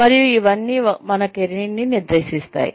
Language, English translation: Telugu, And, all of this constitutes, our career